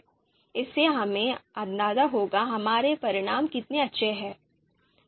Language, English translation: Hindi, So this will give us an idea about how good our results are